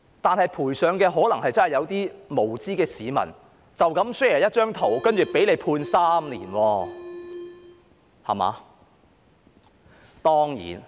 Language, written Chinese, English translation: Cantonese, 然而，賠上的可能真的是一些無知市民只因 share 一張圖便被判3年監禁。, However it will implicate members of the public who may really be sentenced to three years imprisonment just for sharing a picture out of ignorance